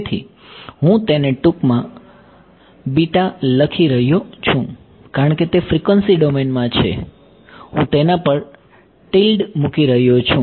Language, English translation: Gujarati, So, I am going to give it a shorthand notation I am going to call it beta ok, since it is in the frequency domain I am putting a tilde on its